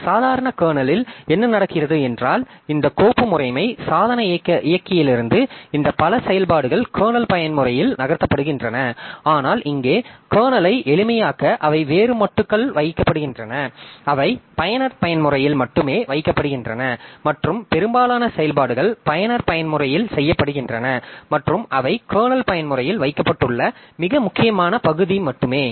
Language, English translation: Tamil, In a normal kernel what happens is that many of these functions from this file system device driver etc so they are moved into the kernel mode but here to make the kernel simple so they are put onto a different module they are put into the user user mode only and most of the operations are done in the user mode and only the very important part they have been kept in the kernel mode